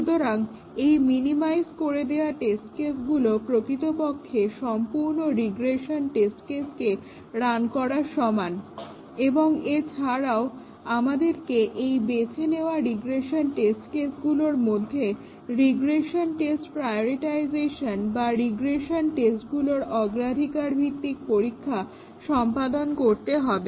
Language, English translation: Bengali, So, the minimized set of test cases is as good as running the entire regression tests and we might also do regression test prioritization out of the regression test cases that have been selected